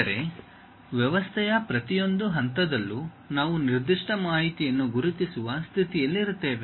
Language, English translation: Kannada, That means, at each and every point of the system, we will be in a position to really identify that particular information